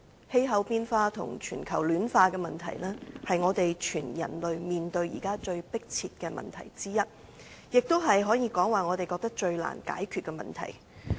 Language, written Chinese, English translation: Cantonese, 氣候變化與全球暖化的問題，是全人類現在面對最迫切的問題之一，也可以說是我們認為最難解決的問題。, Climate change and global warming are the most pressing problems faced by the human race as a whole and it may be regarded as the hardest to tackle